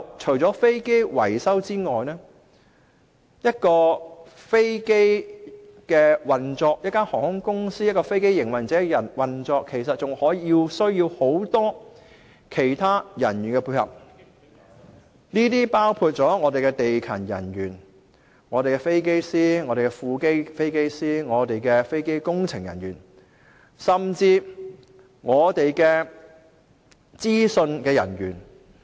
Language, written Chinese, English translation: Cantonese, 再者，除了飛機維修外，當一間航空公司或飛機營運者要運作時，其實還需要很多其他人員配合，包括地勤人員、飛機師、副飛機師、飛機工程人員，甚至資訊人員等。, It takes more than aircraft maintenance for an airline company or aircraft operator to run this business . They also need many other staff including ground crews pilots co - pilots aircraft engineers IT staff etc